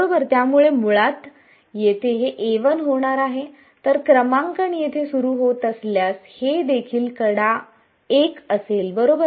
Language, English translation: Marathi, So, over here this is going to be basically a 1 if the numbering begins from here if this is also edge 1 right